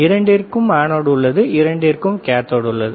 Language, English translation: Tamil, Both has anode both has cathode